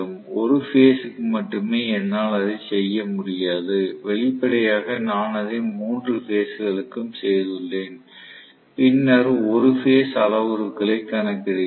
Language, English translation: Tamil, I cannot do it per phase, obviously I have done it for 3 phases and then calculate per phase parameters